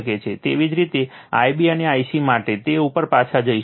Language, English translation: Gujarati, Similarly, for I b and I c so, will go back to that